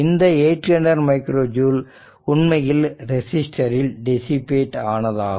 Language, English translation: Tamil, So, this 800 micro joule actually dissipated in the your resistor